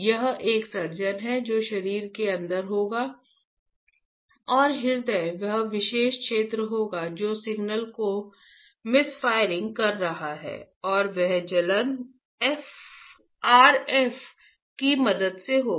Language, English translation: Hindi, It is a surgeon will place inside the body and the heart will be that particular region which is misfiring the signal will be burnt and that burning would be with the help of RF